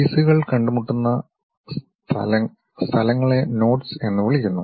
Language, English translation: Malayalam, The places where the pieces meet are known as knots